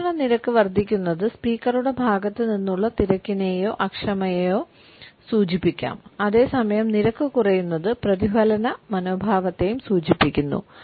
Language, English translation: Malayalam, An increased rate of speech can also indicate a hurry or an impatience on the part of the speaker, whereas a decreased rate could also suggest a reflective attitude